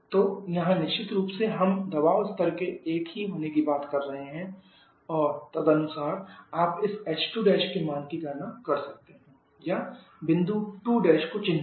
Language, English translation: Hindi, So here of course, we are talking on the final pressure to be the final temperature pressure level to be the same and according you can calculate the value of this h2 prime or, locate the point 2 prime